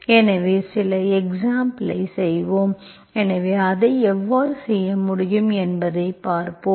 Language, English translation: Tamil, So we will do some examples, so we will see how it can be done